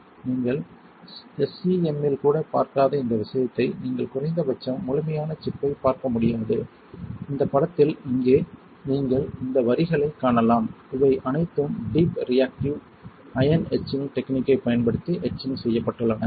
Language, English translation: Tamil, This thing you are not even looking in SEM you cannot see the complete chip at least, in this image alright and here you can see this lines right, this is all etched using deep reactive ion etching technique